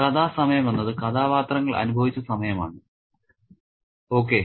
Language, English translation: Malayalam, Story time is the time experienced by the characters, okay